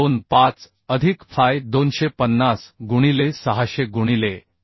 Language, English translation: Marathi, 25 plus fy 250 into 600 by 1